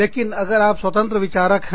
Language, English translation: Hindi, But, if you are an independent thinker